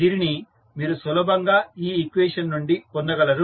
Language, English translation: Telugu, So, this you can easily get from this equation